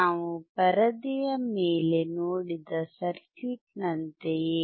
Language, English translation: Kannada, Similar to the circuit that we have seen on the screen